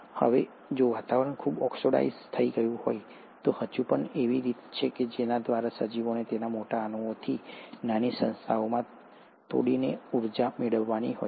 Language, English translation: Gujarati, Now, if the atmosphere has become highly oxidized, there are still ways by which the organism has to derive energy by breaking down it's larger molecules into smaller entities